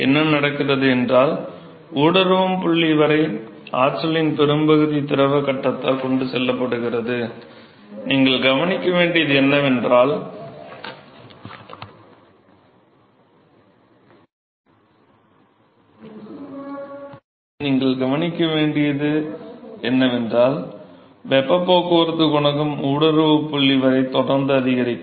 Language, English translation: Tamil, So, what happen is that till the inflection point, the still the majority of the energy is carried by the liquid phase, and therefore, what you will observe is that the heat transport coefficient will continue to increase all the way up to the inflection point